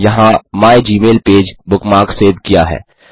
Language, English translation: Hindi, The mygmailpage bookmark is saved there